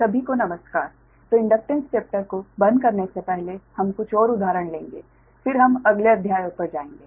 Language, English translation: Hindi, so ok, so before, uh, closing the inductance chapter, so we will take couple of more examples, then we will move to the next chapters